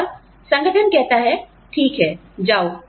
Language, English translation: Hindi, And, the organization says, okay, go